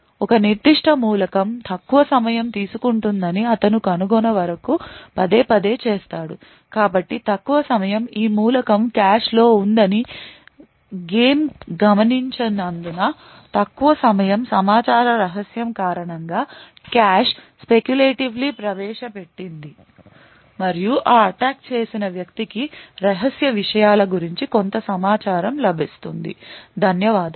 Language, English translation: Telugu, Over and over again until he finds out that one particular element is taking a shorter time so the shorter time is due to the fact that this element is present in the cache and noticed that this element is in the cache due to the secret of information which has invoked it speculatively and does the attacker would get some information about the contents of the secret, thank you